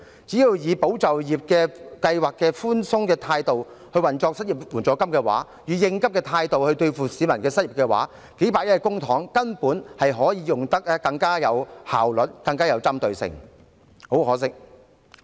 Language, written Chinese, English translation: Cantonese, 只要以"保就業"計劃的寬鬆態度來運作失業援助金，以應急的態度來應對市民的失業情況，數百億元公帑便可以用得更有效率，更有針對性。, If it operates the unemployment assistance fund with the same leniency adopted in ESS and deals with the peoples unemployment with urgency tens of billions of public funds can be used in a more efficient and focused manner